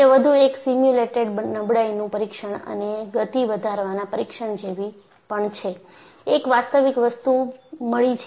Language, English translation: Gujarati, So, it is more like a simulated fatigue test and an accelerated one, and they found a real surprise